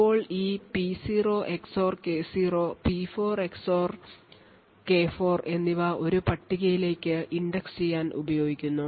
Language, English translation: Malayalam, Now this P0 XOR K0 and P4 XOR K4 is then used to index into a table